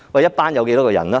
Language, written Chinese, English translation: Cantonese, 一班有多少人？, How many students are there in the class?